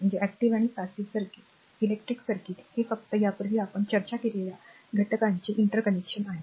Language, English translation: Marathi, So, an electric circuit is simply an interconnection of the elements earlier we have discussed above this right